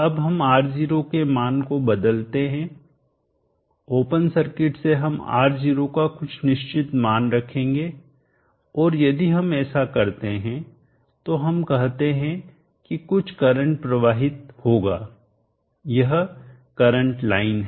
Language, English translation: Hindi, Now let us change the value of R0 from open circuit we will put in some finite value of R0 and if we do that let us say there is some current flows this is the current line